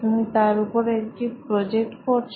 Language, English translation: Bengali, You are doing a project